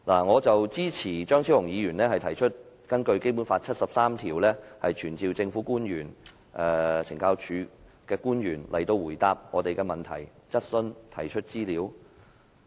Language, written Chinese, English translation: Cantonese, 我支持張超雄議員提出根據《基本法》第七十三條傳召懲教署官員到來回答我們的問題，接受質詢及提交資料。, I support Dr Fernando CHEUNGs motion to summon the Commissioner of Correctional Services and the Assistant Commissioner of Correctional Services Operations to attend before the Council answer our questions and produce documents pursuant to Articles 735 and 7310 of the Basic Law